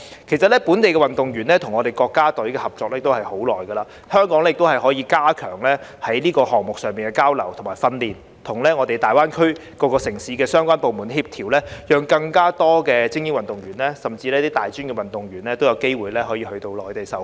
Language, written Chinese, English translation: Cantonese, 其實，本地運動員與國家隊合作已久，香港可加強更多項目上的交流訓練，與大灣區各城市的相關部門協調，讓更多精英運動員，甚至大專運動員都有機會到內地受訓。, In fact local athletes have been cooperating with the national team for a long time . Hong Kong can enhance exchanges on training in more sports and coordinate with the relevant departments of various cities in GBA so that more elite athletes and even tertiary athletes can have the opportunity to receive training on the Mainland